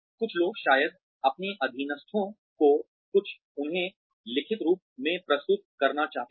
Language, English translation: Hindi, Some people will probably, want their subordinates to submit, something in writing to them